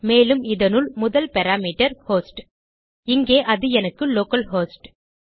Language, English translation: Tamil, And inside this the first parameter will be a host which is localhost for me